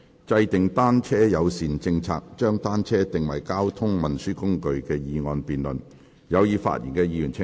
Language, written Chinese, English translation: Cantonese, "制訂單車友善政策，將單車定為交通運輸工具"的議案辯論。, The motion debate on Formulating a bicycle - friendly policy and designating bicycles as a mode of transport